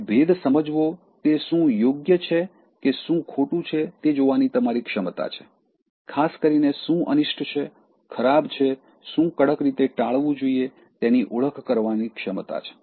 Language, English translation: Gujarati, Now discrimination, is your ability to see what is right or what is wrong especially your ability to identify what is evil, what is bad, what should be extremely avoided